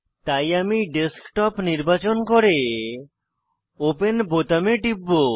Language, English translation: Bengali, So, I will select Desktop and click on the Open button